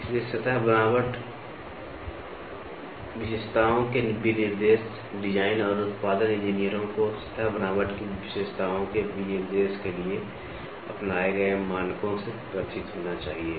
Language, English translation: Hindi, So, specification of surface texture characteristics, design and production engineers should be familiar with the standards adopted for specification of the characteristics of a surface texture